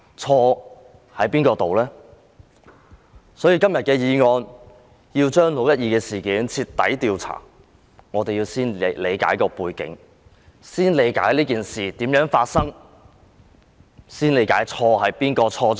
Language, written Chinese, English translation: Cantonese, 今天這項議案要求就"六一二"事件進行徹底調查，我們要先理解它的背景，為何發生這事件，誰先犯錯。, Todays motion demands a thorough investigation into the 12 June incident so we have to understand its background first . Why did the incident happen? . Who make the wrong move first?